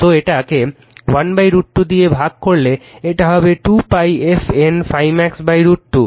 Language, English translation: Bengali, So, divide this 1 by root 2, this is 2 pi f N phi max, divided by root 2